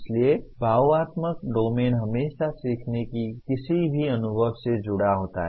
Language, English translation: Hindi, So affective domain is always associated with any learning experience